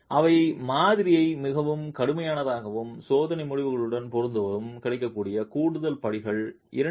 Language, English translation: Tamil, So, these are additional steps that are available to make the model more rigorous and match experimental results